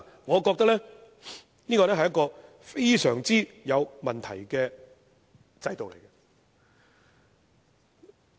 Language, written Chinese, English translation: Cantonese, 我覺得這是一個極有問題的制度。, I think this system is extremely questionable